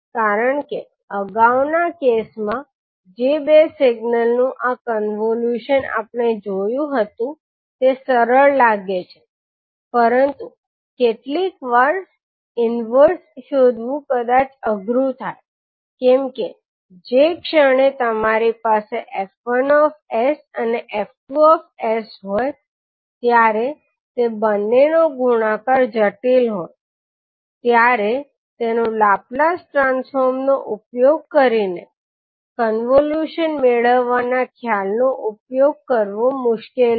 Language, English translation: Gujarati, Because although this convolution of two signal which we saw in the previous cases looks simple but sometimes finding the inverse maybe tough, why because the moment when you have f1s and f2s the product of both is complicated then it would be difficult to utilise the concept of convolution using Laplace transform